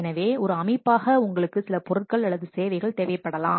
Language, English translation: Tamil, So, as an organization you might require some goods or services